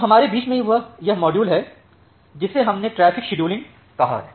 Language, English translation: Hindi, Now, in between we have this module which we called as the traffic scheduling